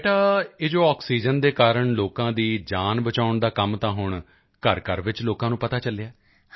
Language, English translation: Punjabi, So beti, this work of saving lives through oxygen is now known to people in every house hold